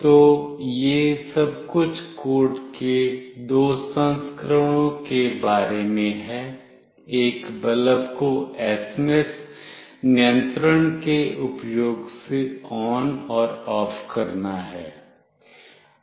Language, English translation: Hindi, So, this is all about the two versions of the code for this making a bulb ON and OFF using SMS control